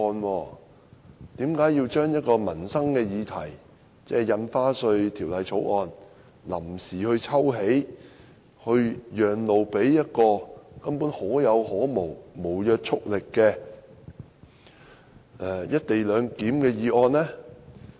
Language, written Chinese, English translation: Cantonese, 為何要臨時抽起關乎民生議題的《條例草案》，讓路給一項根本可有可無、無約束力的"一地兩檢"議案呢？, Why do we have to withdraw the Bill which concerns a livelihood issue to give way to a non - binding motion on the co - location arrangement that is simply non - essential?